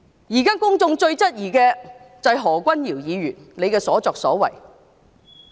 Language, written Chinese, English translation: Cantonese, 現時公眾最質疑的，就是何君堯議員的所作所為。, The public is now most skeptical of what Dr Junius HO has done